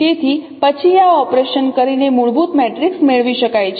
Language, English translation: Gujarati, So this is what is the fundamental matrix